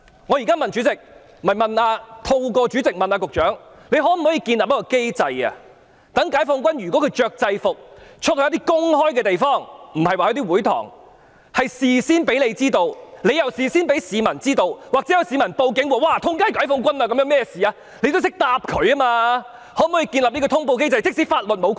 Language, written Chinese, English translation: Cantonese, 我現在透過代理主席詢問局長，局方可否建立機制，解放軍如要穿着制服外出到公眾地方，請事先通知局方，再由局方通知市民，這樣即使有市民向警方報案，指街道四周有解放軍，不知發生甚麼事，當局也懂得如何回答。, I now ask the Secretary through the Deputy President whether it is possible for the Security Bureau to establish a mechanism requiring prior notification to the Bureau if members of PLA have to go to public places in uniform so that the Bureau can then notify the public . Hence if members of the public report to the Police about the presence of PLA members in their neighbourhood and they wonder what is going on the authorities will know how to answer